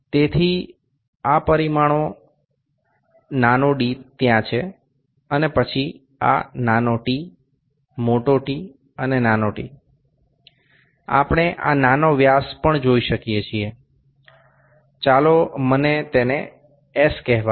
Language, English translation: Gujarati, So, this dimensions small d is there then this small t, capital T, and t’, also we can see this small dia, let me call it s